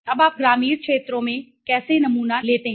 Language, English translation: Hindi, Now how do you sample in the rural areas